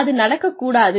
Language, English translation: Tamil, So, that should not happen